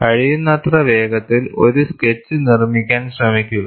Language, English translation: Malayalam, Try to make a sketch, as closely as possible